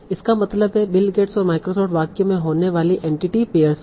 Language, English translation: Hindi, Let me say Bill Gates and Microsoft are the entity pairs